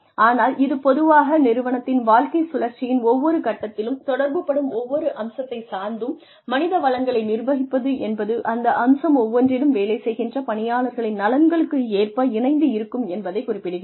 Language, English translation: Tamil, But, it is essentially about managing human resources in such a way that, every aspect, of every stage, in an organization's life cycle is, seen in conjunction, in line with the interests of the people, who are working on that aspect